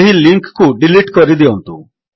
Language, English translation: Odia, Let us delete this link